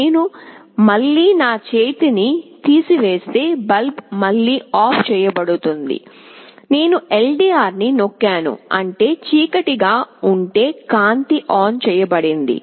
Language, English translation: Telugu, I again remove my hand the bulb is switched OFF again, I press the LDR; that means, darkness the light is switched ON